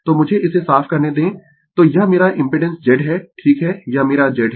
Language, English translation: Hindi, So, let me clear it so this is my impedance Z right this is my Z